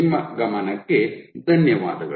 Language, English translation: Kannada, I thank you for your attention